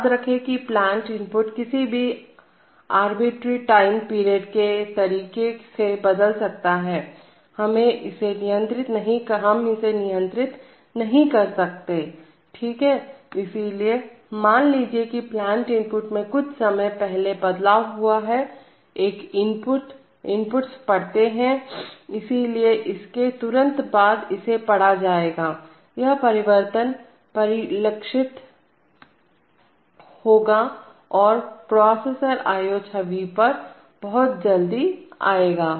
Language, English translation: Hindi, remember that the plant input can change at any arbitrary period of time, we cannot control that, right, so, suppose the plant input changes just before, an input, the inputs are read, so then immediately after it changes it will be read, that is this change will be reflected and will come to the processor IO image very quickly